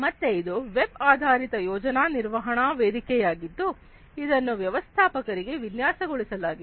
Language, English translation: Kannada, So, this is a web based project management platform that is designed for managers